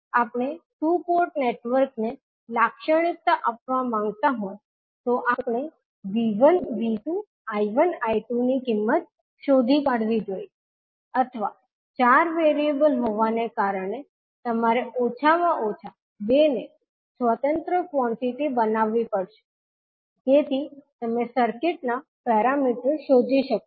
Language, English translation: Gujarati, If we want to characterize the two port network we have to find out the values of the V1, V2, I1, I2 or since we have four in variables at least out of that you have to make 2 as an independent quantity so that you can find out the circuit parameters